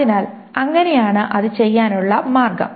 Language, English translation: Malayalam, So that's the way to do it